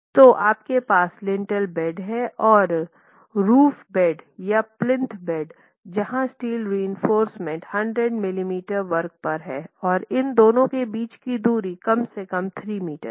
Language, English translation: Hindi, So, you have the lintel band and the roof band or the plinth band where the steel reinforcement is at least 100 millimetre square and the spacing between these is at least 3 meters apart